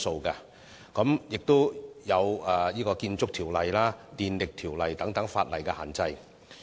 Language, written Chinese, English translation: Cantonese, 此外，也要考慮涉及建築物和電力的條例的限制。, Moreover we should also factor in the limitations imposed by the legislation concerning buildings and electricity supply